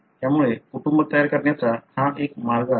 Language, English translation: Marathi, So that is one way to construct the family